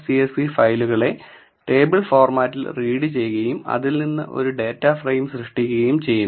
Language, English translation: Malayalam, So, read dot csv reads the file in the table format and creates a data frame from it